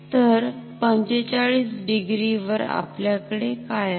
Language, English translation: Marathi, So, at 45 degree what do we have